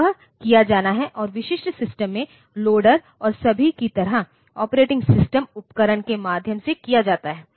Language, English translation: Hindi, So, that has to be done and the typical system, that is done by means of the operating system tools like loader and all that